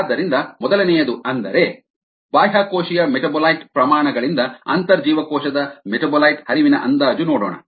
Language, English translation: Kannada, so, estimation of intracellular metabolite flux from extracellular metabolite rates